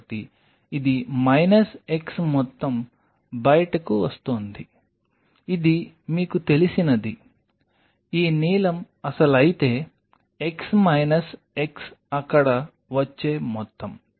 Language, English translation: Telugu, So, this is minus x amount coming out this is whatever you know, if this blue is the original x minus x is the amount which is getting there